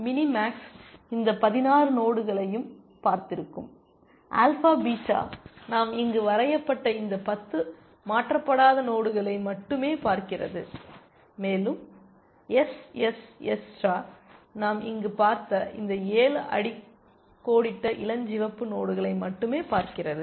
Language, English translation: Tamil, Mini max would have seen all these 16 nodes, alpha beta sees only these 10 unshaded nodes that we have drawn here, and SSS star sees only these 7 underlined pink nodes that we have seen here